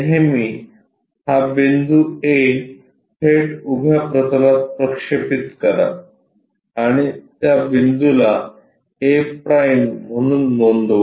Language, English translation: Marathi, Always project this point a straight away on to vertical plane note down that point as a’